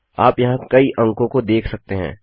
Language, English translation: Hindi, So you can see quite a lot of digits here